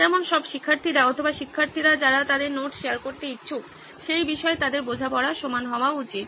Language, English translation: Bengali, As in all the students or students who are willing to share their notes should have the same understanding of the topic